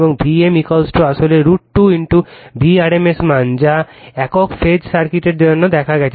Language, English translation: Bengali, And v m is equal to actually root 2 into v rms value that we have seen for single phase circuit